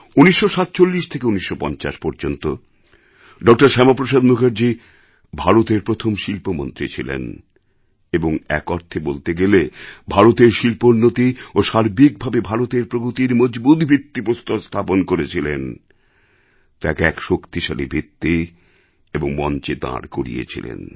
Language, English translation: Bengali, Shyama Prasad Mukherjee was the first Industries minister of India and, in a sense, helaid a strong foundation for India's industrial development, he had prepared a solid base, it was he who had prepared a stout platform